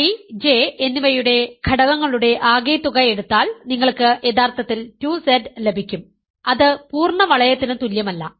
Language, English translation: Malayalam, If you take the sum of elements of I and J you get actually 2Z which is not equal to the full ring